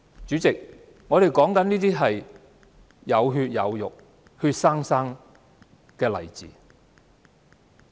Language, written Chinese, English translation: Cantonese, 主席，上述都是有血有肉的活生生例子。, President all these stories are living examples in real life